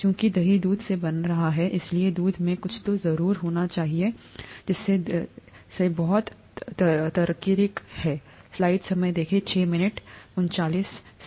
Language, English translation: Hindi, Since curd is forming from milk, something in the milk must be turning into curd, right, that’s very logical